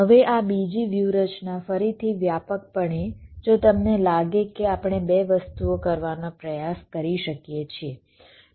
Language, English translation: Gujarati, now this second strategy, again broadly, if you think we can try to do a couple of things